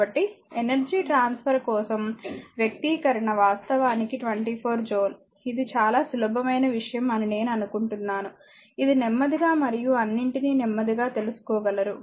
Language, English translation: Telugu, So, expression for energy transferred it is actually 24 joule, I think this is simple thing it is understandable to all of you right slowly and slowly you have to understand now each and everything